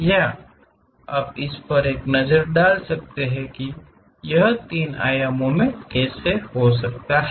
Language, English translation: Hindi, Can you take a look at it how it might be in three dimension, ok